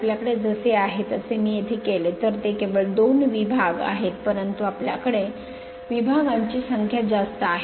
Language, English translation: Marathi, If I make it here as you have here it is only two segments, but you have more number of segments